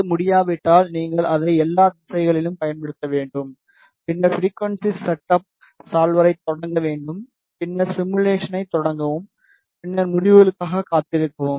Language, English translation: Tamil, If that is already not unable you need to apply it in all the directions and then start frequency setup solver start the simulation and then wait for the results